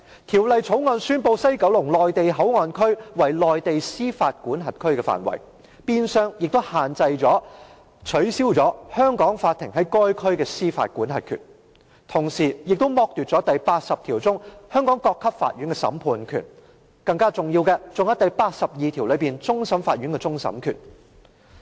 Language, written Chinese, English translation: Cantonese, 《條例草案》宣布西九龍站內地口岸區為內地司法管轄區的範圍，變相取消了香港法庭在該區的司法管轄權，同時亦剝奪了第八十條所賦予香港各級法院的審判權，更甚的是第八十二條所賦予香港終審法院的終審權。, The Bill declares that the West Kowloon Station Mainland Port Area MPA comes under the jurisdiction of China . This in effect deprives Hong Kong of its jurisdiction over that area and at the same time deprives courts of Hong Kong at all levels of the judicial power granted by Article 80 as well as deprives the Court of Final Appeal of the power of final adjudication granted by Article 82